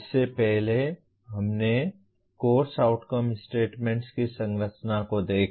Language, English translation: Hindi, Earlier, we looked at the structure of the Course Outcome statements